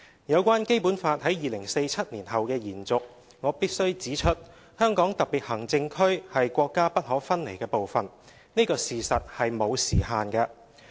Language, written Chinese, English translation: Cantonese, 有關《基本法》在2047年後的延續，我必須指出，香港特別行政區是國家不可分離的部分，這個事實是沒有時限的。, As regards the continuation of the Basic Law after 2047 I must point out that the HKSAR is an inalienable part of the Country . This is a fact that has no time frame